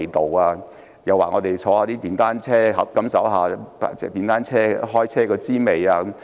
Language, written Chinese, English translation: Cantonese, 他們又讓我們乘坐電單車，感受一下開電單車的滋味。, They would also allow us to take a ride on their motorcycles to get a feel of riding a motorcycle